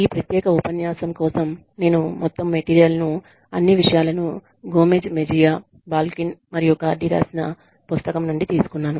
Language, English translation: Telugu, I have taken all of the material, that i have used for this, particular lecture, from the book that we have been referring to, which is the book, by Gomez Mejia, Balkin, and Cardy